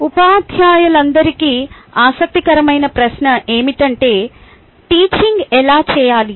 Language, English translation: Telugu, one of the interesting question to all teachers is how to teach